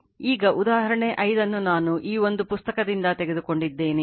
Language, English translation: Kannada, Now, example 5 there this problem I have taken from one book